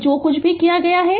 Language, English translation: Hindi, So, whatever we have done